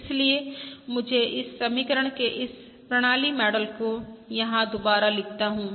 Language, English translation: Hindi, So let me rewrite this system model of this equation over here again